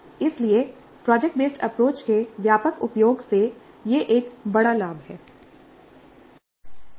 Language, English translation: Hindi, So this is a great benefit from widespread use of project based approach